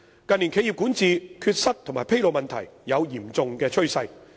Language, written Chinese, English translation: Cantonese, 近年，企業管治缺失及披露問題有嚴重趨勢。, In recent years the problems of corporate governance deficiencies and disclosure have shown a serious trend